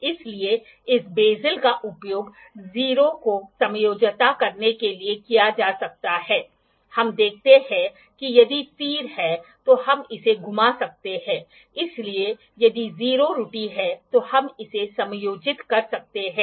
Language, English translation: Hindi, So, this bezel can be used to adjust the 0, we see we can move it if there is arrow, so, if there is 0 error we can adjust it